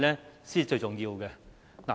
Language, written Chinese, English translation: Cantonese, 這才是最重要。, It is of utmost importance